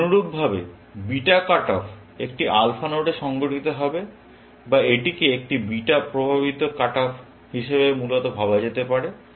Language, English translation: Bengali, In a similar fashion, beta cut off will take place at an alpha node, or it could be thought of a beta induced cut off, essentially